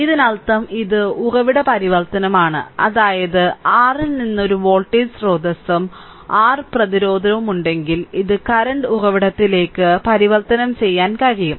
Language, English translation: Malayalam, So, that means, this is the source transformation that means, from the your if you have a voltage source and resistance R like this, you can convert it into the current source right